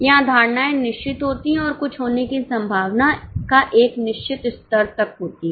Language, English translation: Hindi, Here the assumptions are fixed and there is a certain level of possibility of some things happening